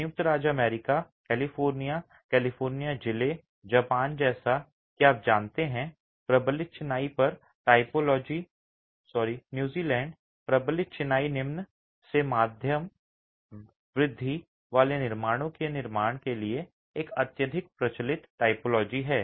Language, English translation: Hindi, United States, California, the California district, Japan as you know, but reinforced masonry and New Zealand, reinforced masonry is a highly prevalent typology for construction of low to mid rise constructions